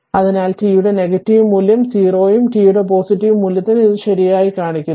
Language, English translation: Malayalam, So, negative value of t it is 0 and for positive value of t it is shown right